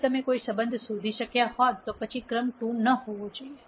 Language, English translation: Gujarati, If you were able to find a relationship then the rank should not have been 2